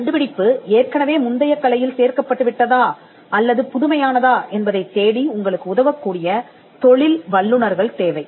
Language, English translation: Tamil, It requires professionals who can help you in searching whether the invention is already fallen into the prior art or whether it is novel